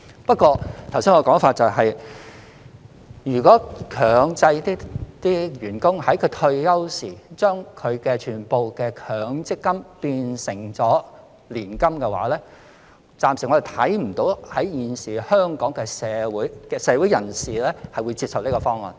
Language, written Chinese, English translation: Cantonese, 不過，我剛才的說法是，如果強制員工在退休時須把全部強積金變成年金，我暫時看不到現時香港社會人士會接受這項方案。, However what I have just said is that if it is mandatory for employees to convert all their MPF assets into annuities upon retirement I do not see for the time being that the Hong Kong community will accept this option